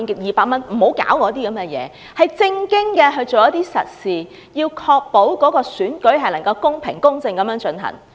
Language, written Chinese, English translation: Cantonese, 希望當局做正經事、做實事，確保選舉公平公正地進行。, I hope the authorities will seriously make practical efforts to ensure that elections will be conducted in a fair and just manner